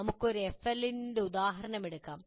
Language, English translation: Malayalam, Let us take the same example as a FLL we present it